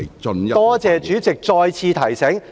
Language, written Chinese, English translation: Cantonese, 多謝主席再次提醒。, thank you President for reminding me once again